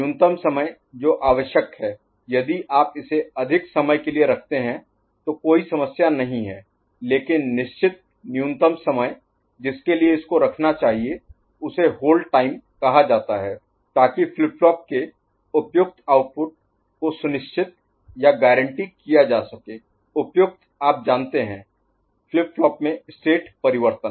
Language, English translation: Hindi, The minimum time that is required you, if you hold it for more time there is no issue, but certain minimum time it should be held that is called hold time ok, so that is to ensure or guarantee appropriate output of the flip flop, appropriate you know, state change in the flip flop ok